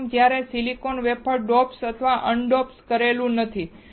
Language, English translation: Gujarati, First when the silicon wafer is not doped or un doped